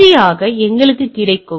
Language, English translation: Tamil, Then finally, we have the availability